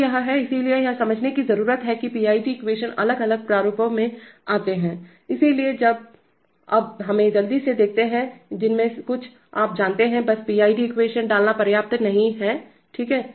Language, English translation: Hindi, So this is, so this, it needs to be understood that PID equations come in different, in different formats, so now let us quickly run through, some of the, you know, just putting the PID equation is not going to be enough, okay